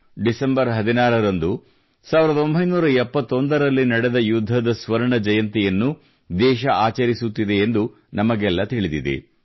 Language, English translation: Kannada, All of us know that on the 16th of December, the country is also celebrating the golden jubilee of the 1971 War